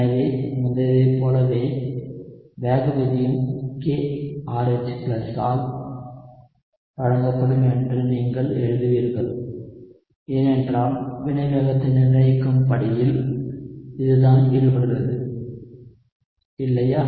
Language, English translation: Tamil, So like before, you would write the rate would be given by K into concentration of RH+, because that is what is involved in the rate determining step, right